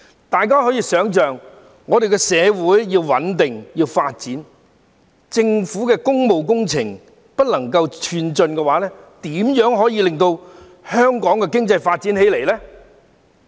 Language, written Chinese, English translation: Cantonese, 但大家可以想象到，我們的社會要穩定和發展，如果政府的工務工程無法進展，又怎可以令香港經濟發展起來呢？, Honourable colleagues can tell that our society needs stability and development but if the Governments public works projects cannot progress how can the economy of Hong Kong develop?